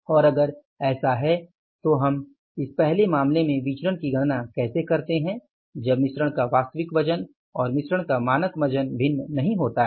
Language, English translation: Hindi, The first situation is when the actual weight of the mix first case when the actual weight of mix and the actual weight of the mix and the standard weight of the mix, do not differ